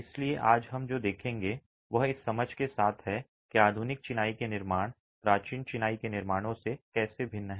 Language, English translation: Hindi, So, what we will look at today is with this understanding how do modern masonry constructions differ from ancient masonry constructions